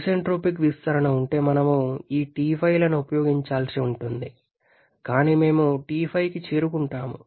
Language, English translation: Telugu, Had there been isentropic expansion we should have used this T5s, but we reaching the T5